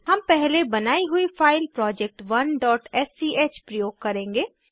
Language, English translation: Hindi, We will use the file project1.sch created earlier